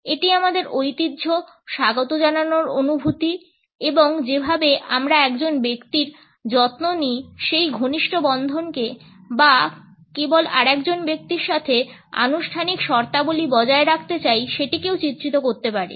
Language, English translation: Bengali, It also communicates tradition, a sense of welcome and can easily represent close bonding the fact that we care for a person or we simply want to maintain formal terms with the other person